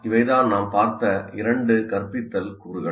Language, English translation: Tamil, These are the two instructional components that we looked at